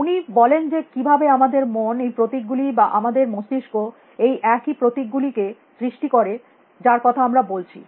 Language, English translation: Bengali, He talks about how the mind creates symbol, how the brain creates these same symbols that we are talking about